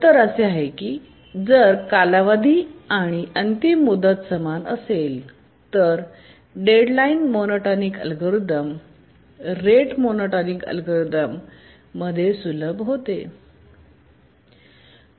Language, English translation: Marathi, With little thinking, we can say that if the period and deadline are the same, then of course the deadline monotonic algorithm it simplifies into the rate monotonic algorithm